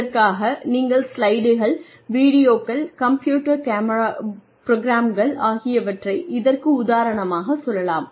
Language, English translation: Tamil, So you can have videos, you can have slides,you can have computer programs, you can have examples